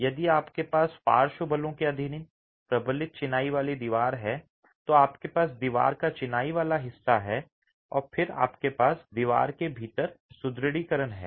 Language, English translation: Hindi, So, if you have a reinforced masonry wall subjected to lateral forces, you have the masonry part of the wall and then you have the reinforcement sitting within the wall